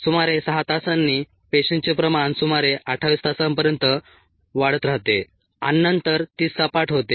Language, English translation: Marathi, around six hours the cell concentration starts to increase till about twenty, eight hours and then it goes flat